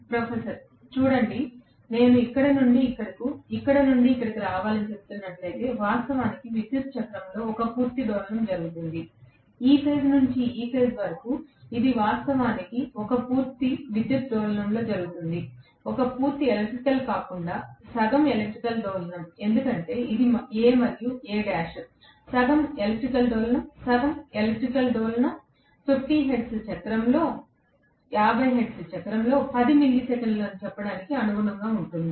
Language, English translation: Telugu, (18:31) Professor: See, if I am saying that from here to here, to come from here to here, actually one complete oscillation takes place in the electrical cycle, from this point to this point to come it is actually taking place in one complete electrical oscillation, one complete electrical rather half the electrical oscillation, because this is A and this is A dash, half the electrical oscillation, half the electrical oscillation corresponds to let’s see 10 millisecond in a 50 hertz cycle